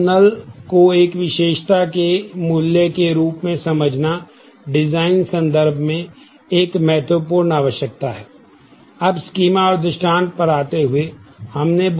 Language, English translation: Hindi, So, understanding null as a value in terms of an attribute is a critical requirement for the design